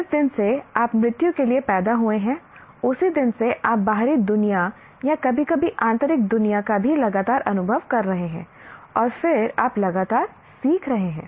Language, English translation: Hindi, Right from the day you are born to the death, you are continuously experiencing the external world or sometimes internal world as well and then you are continuously learning